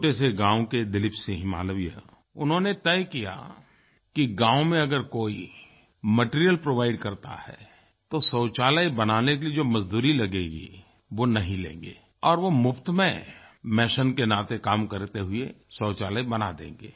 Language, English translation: Hindi, Hailing from a small village, Dileep Singh Malviya decided that if anyone provides materials for toilet in the village, he will render his labour services free of cost